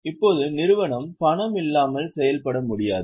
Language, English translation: Tamil, Now, company cannot operate without money